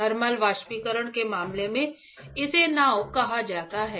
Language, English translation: Hindi, In case of thermal evaporation, it is called boat